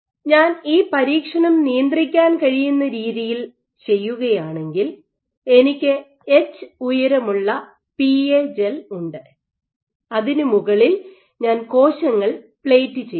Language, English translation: Malayalam, So, if I do this experiment in a controllable manner where I have a PA gel of height H and on top of which I am plating cells